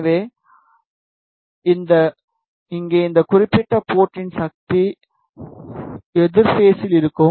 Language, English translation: Tamil, So, here at this particular port the power will be in opposite phase